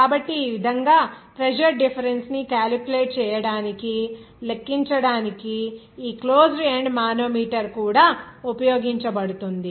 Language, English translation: Telugu, So, in this way, this closed end manometer is also used to calculate the pressure difference